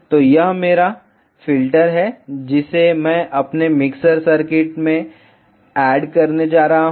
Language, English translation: Hindi, So, this is my IF filter I am going to add it to my mixer circuit